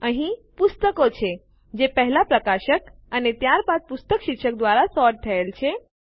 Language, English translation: Gujarati, Here are the books, first sorted by Publisher and then by book title